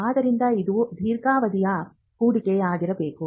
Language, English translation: Kannada, So, it has to be a long term investment